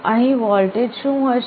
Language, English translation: Gujarati, So, what will be the voltage here